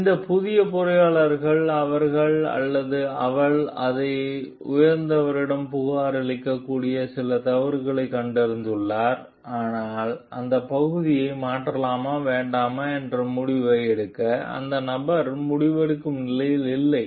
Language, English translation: Tamil, So, this new engineer has detected some fault you he or she may report it to the higher up, but that person is not in a decision making position to take a decision whether to replace those parts or not